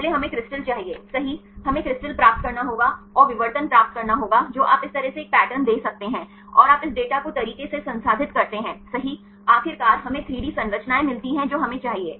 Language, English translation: Hindi, First we need the crystal right we have to get the crystal and get the diffraction you can give a pattern like this and you process this data right then finally, we get the 3D structures this what we need